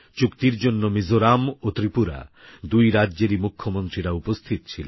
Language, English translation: Bengali, The Chief Ministers of both Mizoram and Tripura were present during the signing of the agreement